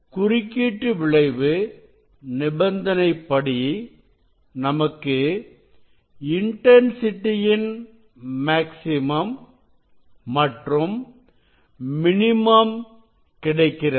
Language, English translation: Tamil, And, we will get the depending on the interference condition you know intensity will be maxima or minima